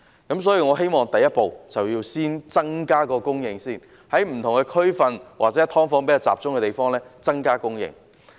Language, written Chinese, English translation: Cantonese, 因此，我希望第一步是先增加供應，在不同區份或"劏房"比較集中的地區增加供應。, In this connection I hope the first step is to increase supply . The Government should increase supply in various districts or districts where there is a greater concentration of subdivided units